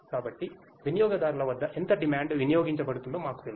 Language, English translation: Telugu, So, that we know how much demand is consumed at the consumer point